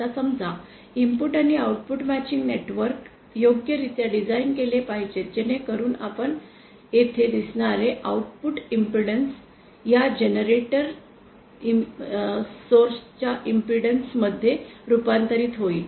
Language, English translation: Marathi, Now say so our input and output matching networks have to be properly designed so that the output impedance that we see here is converted to this generator source input